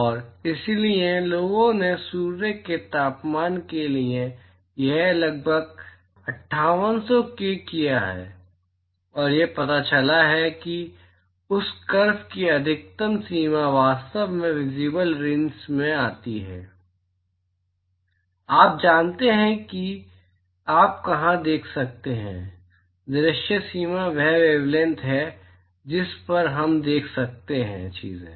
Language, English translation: Hindi, And so, people have done this for the temperature of Sun is approximately 5800K and it turns out that the maxima of that curve it actually falls in the visible range, you know where you can see, visible range is the wavelength at which we can see things